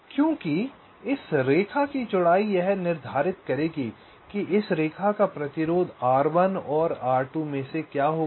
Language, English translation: Hindi, because width of this line will determine what will be the resistance of this lines r one and r two, right